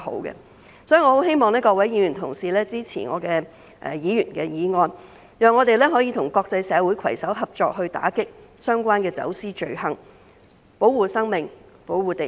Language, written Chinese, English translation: Cantonese, 因此，我十分希望各位議員同事支持我的議員法案，讓我們可以與國際社會攜手合作，打擊相關的走私罪行，保護生命、保護地球。, Therefore I very much hope that Honourable colleagues will support the Members Bill proposed by me so that Hong Kong can work with the international community to combat the relevant trafficking crimes with a view to protecting lives and the planet